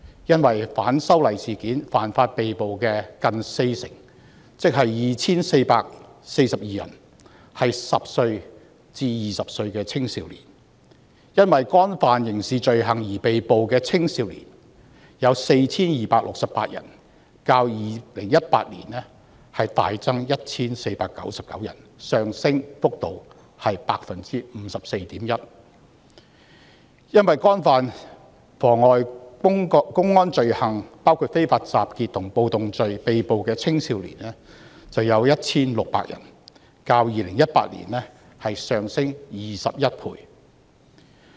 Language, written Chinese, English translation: Cantonese, 因反修例事件犯法而被捕的人有近四成，即 2,442 人是10歲至20歲的青少年；因干犯刑事罪行而被捕的青少年有 4,268 人，較2018年大增 1,499 人，上升幅度為 54.1%； 因干犯妨礙公安罪行，包括非法集結和暴動罪而被捕的青少年有 1,600 人，較2018年上升21倍。, Nearly 40 % of them were arrested for offences relating to the opposition to the proposed legislative amendments that is 2 442 were juveniles aged between 10 and 20; 4 268 were juveniles arrested for criminal offences an increase of 1 499 or 54.1 % over 2018 and 1 600 were juveniles arrested for offences against public order including unlawful assembly and riot which is 21 times from 2018